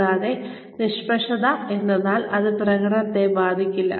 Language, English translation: Malayalam, And, neutral is that, it has no effect on performance